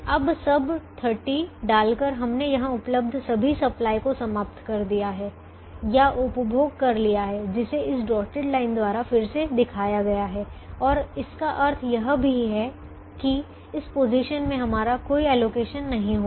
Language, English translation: Hindi, by putting all this thirty, we have exhausted or consumed all the supply that is available here, which is shown again by this dotted line, and it also means that we will not have any allocation in this position now